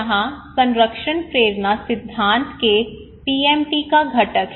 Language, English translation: Hindi, So here is the component of PMT of protection motivation theory